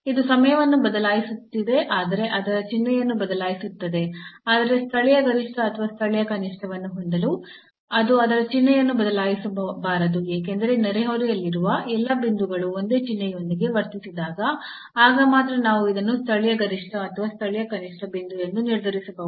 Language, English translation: Kannada, So, this is changing time, but changing its sign, but to have the local maximum or local minimum it should not change its sign, because then only we can determine this is a point of local maximum or local minimum when all the points in the neighborhood it behaves us with the same sign